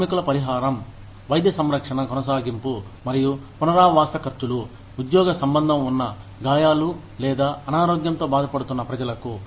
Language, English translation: Telugu, Workers compensation provides, medical care, continuation and rehabilitation expenses, for people, who sustain job related injuries or sickness